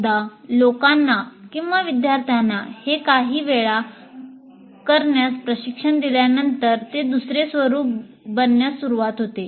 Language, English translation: Marathi, So once people are trained, students are trained in doing this a few times, then it starts becoming second nature to the students